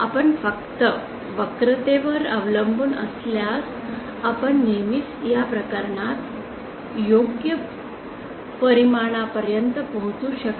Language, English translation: Marathi, If we just relied on the curvature we may not always reach the correct result as in this case